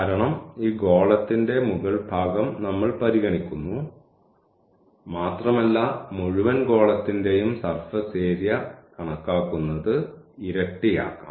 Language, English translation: Malayalam, Because, we are considering the upper part of this sphere and we can make it the double to compute the surface area of the whole sphere